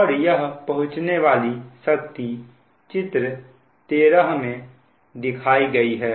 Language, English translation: Hindi, that means shown in figure thirteen